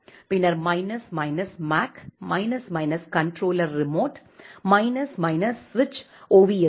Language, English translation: Tamil, Then minus minus mac, minus minus controller remote, minus minus switch ovsk